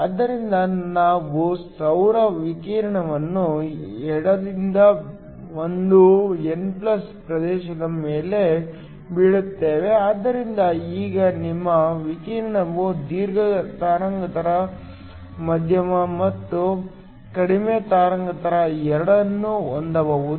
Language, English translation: Kannada, So, We have solar radiation coming from the left and falling on the n+ region so now your radiation can have both long wavelength medium and short wavelength